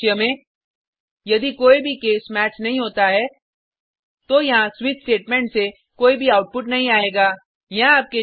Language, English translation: Hindi, In such a scenario, if none of the cases match then there will be no output from the switch statement